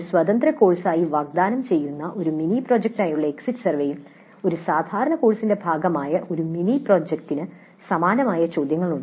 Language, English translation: Malayalam, Exit survey for a mini project offered as an independent course as questions similar to those for a mini project that is part of a regular course but certain additional questions are possible in the exit survey